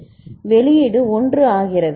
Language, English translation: Tamil, So, then the output becomes 1